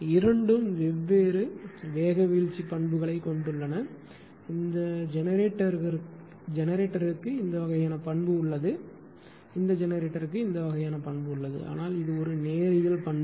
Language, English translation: Tamil, Both having different speed droop characteristic, this generator has this kind of characteristic this generator has this kind of characteristic, but it is a linear, right